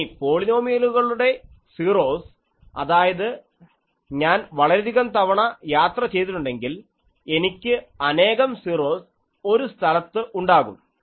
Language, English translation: Malayalam, Now, 0s of the polynomial that if I have more than more times I travel it so, I have multiple 0s at places